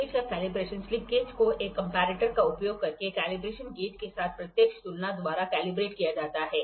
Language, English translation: Hindi, Calibration of slip gauges; slip gauges are calibrated by direct comparison with calibration gauge using a comparator